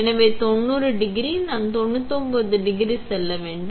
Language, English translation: Tamil, So, for 90 degrees, I would go to 99 degrees